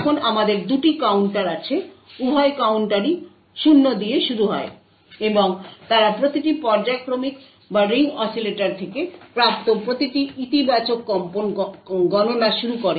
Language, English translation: Bengali, Now we have two counters; both the counters start with 0 and they begin counting each periodic or each positive pulse that is obtained from the ring oscillator